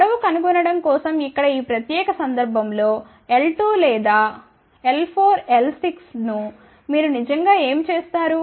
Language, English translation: Telugu, For this particular case over here for finding length L 2 or L 4, L 6 what you really do